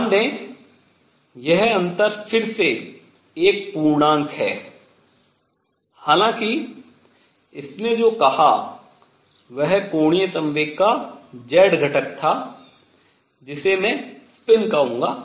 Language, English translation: Hindi, This difference again notice is by one integer; however, what it said was that z component of angular momentum which I will call spin